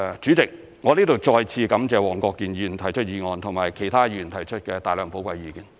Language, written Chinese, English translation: Cantonese, 主席，我在這裏再次感謝黃國健議員提出議案和其他議員提出的大量寶貴意見，我謹此發言。, President I hereby thank Mr WONG Kwok - kin once again for proposing the motion and other Members for expressing so much valuable views . I so submit